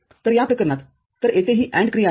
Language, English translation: Marathi, So, in this case, so this is the AND operation over here